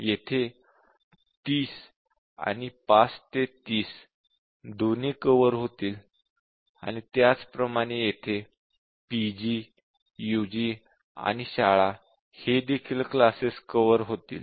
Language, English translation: Marathi, So, both 30 and 5 to 30 are covered, and similarly here PG, UG and school are covered